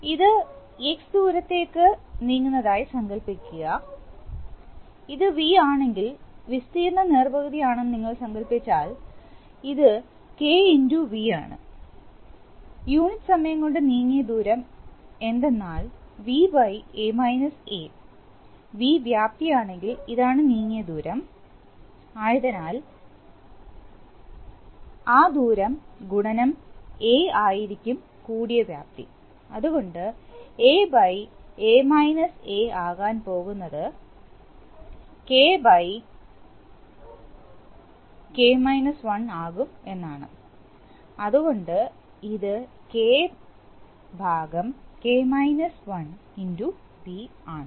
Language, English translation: Malayalam, Suppose it moves to distance X, so if this is V, suppose the area is half then this side it will be K into V, the distance moved in unit time is actually V by A – a, if V volume is flowing this is the distance traversed, so that into A will be the volume which will be expelled, so it is going to be A by ( A – a) V is equal to A by a, A a by A is equal to 1 – is equal to K 1 by K, so A by A – a is going to be K by K – 1 yeah, so it is going to be K by V